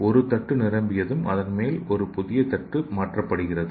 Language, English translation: Tamil, Once one dish is filled, a new one is replaced on top of it